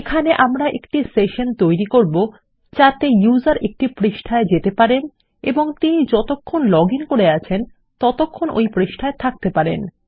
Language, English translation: Bengali, Here, well create a session in which the user can enter a page and theyre allowed to be inside the page as long as they have successfully logged in